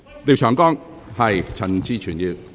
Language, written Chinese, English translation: Cantonese, 廖長江議員，請發言。, Mr Martin LIAO please speak